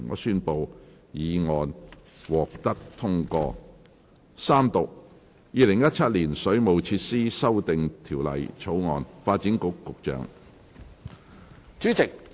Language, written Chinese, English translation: Cantonese, 主席，我動議《2017年水務設施條例草案》予以三讀並通過。, President I move that the Waterworks Amendment Bill 2017 be read the Third time and do pass